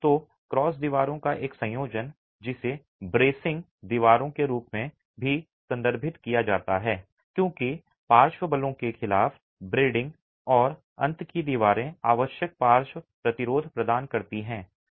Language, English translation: Hindi, So, a combination of the cross walls also referred to as bracing walls because they are bracing against the lateral forces and the end walls provide the required lateral resistance